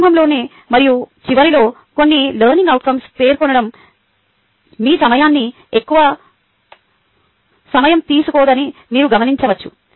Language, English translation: Telugu, you will note that stating a few learning outcomes in the beginning and at the end doesnt take away much of your time